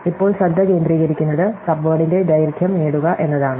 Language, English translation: Malayalam, So, the focus at the moment is to get the length of the subword